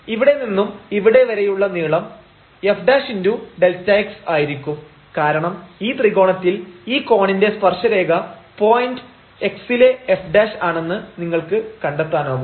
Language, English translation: Malayalam, So, here this distance from here to here will be nothing, but the f prime into this delta x because in this triangle you can figure out that this tangent of this angle here is this f prime at this point x